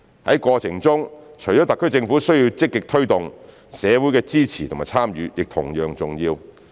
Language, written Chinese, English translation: Cantonese, 在過程中，除了特區政府需要積極推動，社會的支持和參與亦同樣重要。, In the process apart from the SAR Governments work in actively taking forward the development of GBA the support and participation of society are equally important